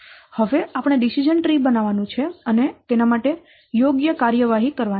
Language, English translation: Gujarati, So now we have to construct the decision tree and take the appropriate action